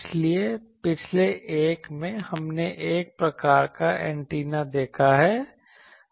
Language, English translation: Hindi, So, in the last one we have seen a slot type of antenna